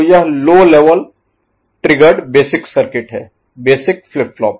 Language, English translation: Hindi, So, if it is low level triggered basic circuit, basic flip flop ok